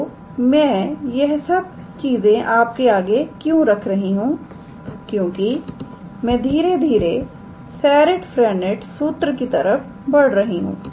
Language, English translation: Hindi, So, why I am introducing all these things is because now I am slowly moving towards Serret Frenet formula